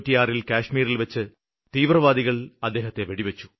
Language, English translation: Malayalam, In 1996, the terrorists had shot Jawed Ahmed in Kashmir